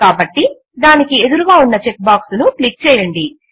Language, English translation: Telugu, So click on the check box against it